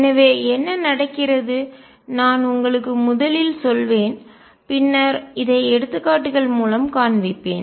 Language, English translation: Tamil, So, what happens, I will just tell you first and then show this through examples